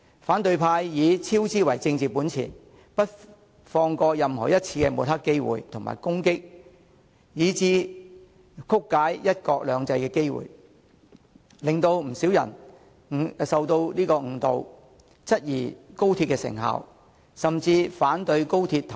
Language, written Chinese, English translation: Cantonese, 反對派以超支為政治本錢，不放過任何一次抹黑、攻擊及曲解"一國兩制"的機會，使不少人受到誤導，質疑高鐵成效，甚至反對高鐵通車。, Opposition Members use costs overrun as their political capital to grasp every chance to smear attack and distort the principle of one country two systems . Thus some people who have been misled query the benefits of XRL and even oppose its commissioning